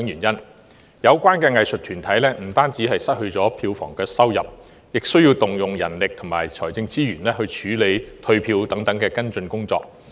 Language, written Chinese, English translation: Cantonese, 有關的藝術團體不單失去票房收入，亦需動用人力和財政資源處理退票等跟進工作。, The arts groups concerned not only have suffered loss of box office income but also have to deploy manpower and financial resources to handle follow - up work such as ticket refund